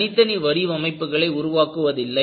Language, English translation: Tamil, People do not do design individually